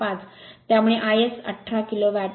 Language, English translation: Marathi, 5, so it is 18 kilo watt right